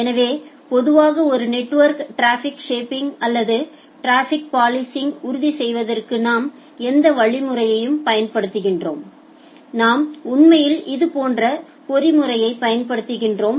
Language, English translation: Tamil, So, in general in a network whatever mechanism we are apply for ensuring traffic shaping or traffic policing we actually apply similar kind of mechanism